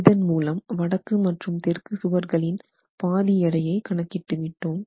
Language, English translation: Tamil, So, the weight of half of the northern walls is calculated here